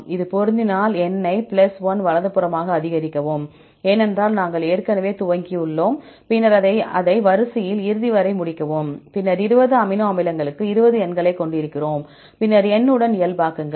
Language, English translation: Tamil, If it matches then increase the number as +1 right, because already we initialized, then complete it till the end of the sequence right, then we have 20 numbers for the 20 amino acids, then normalize with n